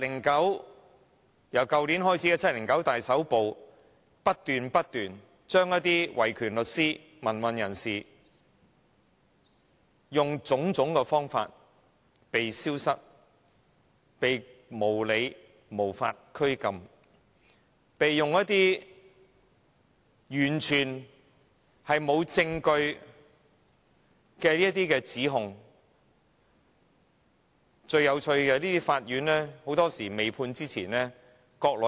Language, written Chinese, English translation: Cantonese, 自去年開始的 "7.9 大抓捕"，當局用種種方法不斷使維權律師、民運人士"被消失"，甚至因應一些完全沒有證據的指控，無理把他們非法拘禁。, The 9 July mass arrest began in 2015 and the China Government has been adopting every means since then to cause those human rights lawyers and democratic activists to disappear . They are even unlawfully subjected to wrongful detention under unsubstantiated allegations